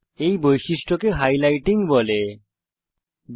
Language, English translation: Bengali, This feature is called highlighting